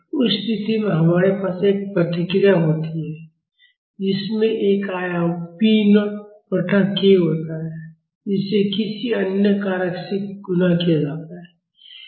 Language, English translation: Hindi, In that case we have a response, which has an amplitude p naught by k multiplied by another factor